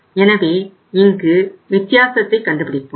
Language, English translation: Tamil, So here find out the difference